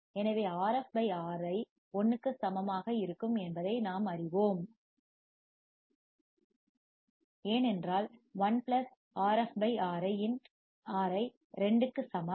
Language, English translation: Tamil, So, we know that Rf /Ri will be equal to 1, because 1 plus Rf by Ri equals to 2